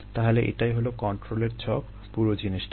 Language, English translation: Bengali, so this is the control schematic of the whole thing